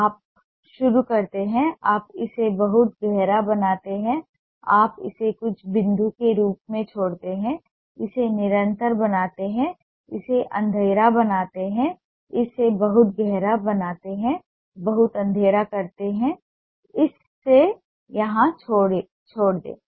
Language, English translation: Hindi, you start, you make it very deep, you leave it as some point, make it continuous, make it dark, make it very dark, very dark, leave it here